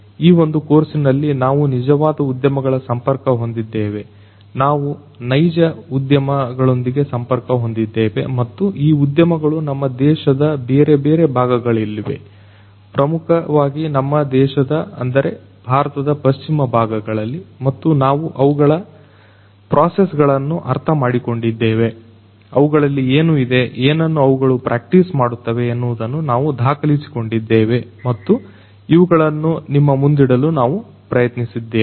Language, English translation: Kannada, In this particular course we have gone out to the real industries we have connected with real industries and these industries are in different parts of our country, particularly focusing on the western part of our country; that means, India and we have collected, we have gone to the different industries, we have reached out, we have understood their existing processes, we have recorded what they have what they do in practice and we have tried to bring these up for you